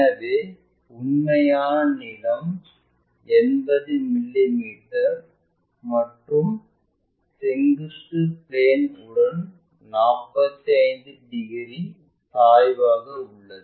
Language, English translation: Tamil, So, true length is 80 mm and it makes 45 degrees inclination with the vertical plane